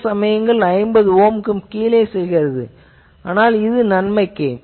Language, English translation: Tamil, Certain times it is going even below 50 Ohm, but this is good with the thing